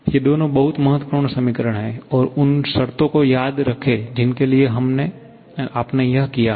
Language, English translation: Hindi, These two are very important equations; remember the conditions for which you have done